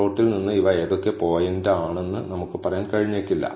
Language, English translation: Malayalam, So, from the plot, we may not be able to tell which points are these